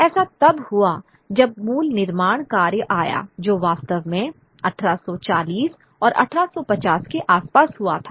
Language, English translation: Hindi, So, that's when the original works that comes, that's which really takes place at around 1840s and 1850s